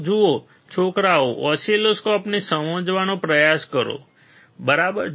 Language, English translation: Gujarati, So, see guys try to understand oscilloscope, right